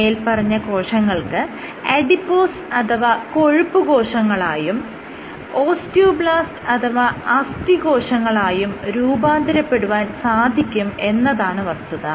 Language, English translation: Malayalam, These guys are known to differentiate into adipose or fat cells as well as osteoblast or bone cells